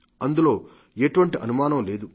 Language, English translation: Telugu, There can be no doubt about this fact